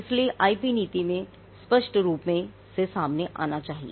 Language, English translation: Hindi, So, this has to come out clearly in the IP policy